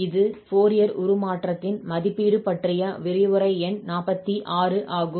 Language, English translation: Tamil, So, this is lecture number 46 on Evaluation of Fourier Transform